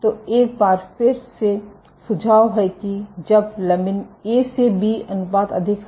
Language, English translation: Hindi, So, suggesting once again that when lamin A to B ratio is high